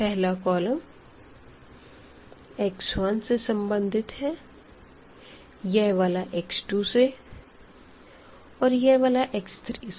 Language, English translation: Hindi, So, this first column is associated with x 1 here, this is with x 2, this is with x 3